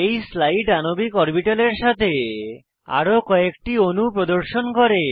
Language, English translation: Bengali, This slide shows examples of few other molecules with molecular orbitals